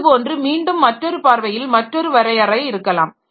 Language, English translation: Tamil, Again another view, another definition may be like this